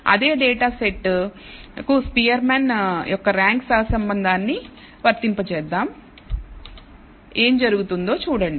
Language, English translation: Telugu, Let us apply de ne Spearman’s rank correlation apply it to a same data set and see what happens